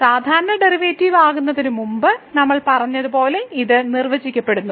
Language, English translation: Malayalam, This is defined as we said before it is the usual derivative